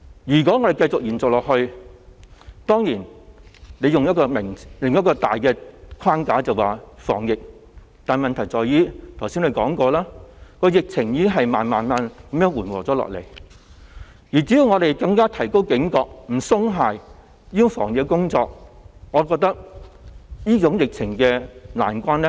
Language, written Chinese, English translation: Cantonese, 如果限聚令繼續延長下去......當然，政府可以以防疫為名這樣做，但問題在於——我剛才已提到——疫情已慢慢緩和，只要我們更加提高警覺、不鬆懈防疫工作，我認為我們可以渡過這個疫情難關。, If the social gathering restriction is further extended Of course the Government can do it in the name of epidemic prevention but the point is―as I mentioned just now―that the epidemic has been abating steadily . As long as we are more alert and remain vigilant in our epidemic prevention efforts I think we will be able to ride out this epidemic